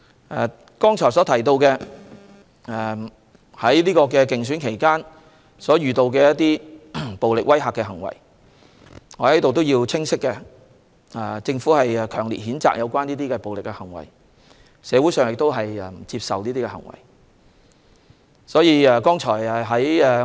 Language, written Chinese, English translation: Cantonese, 我剛才提到競選期間遇到的暴力威嚇行為，我在此清晰表示，政府強力譴責這些暴力行為，社會人士也不接受這些行為。, Just now I have mentioned the acts of violence and intimidation during the election campaign . I hereby state clearly that the Government strongly condemns these acts of violence and the community also does not accept such acts